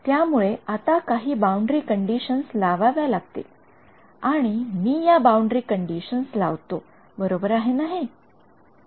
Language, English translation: Marathi, So, I need to impose some boundary conditions and I impose this boundary conditions is that a good thing